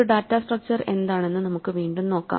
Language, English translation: Malayalam, Let us revisit what we lean by a data structure